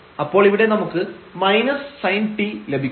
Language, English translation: Malayalam, So, we will get here minus sin t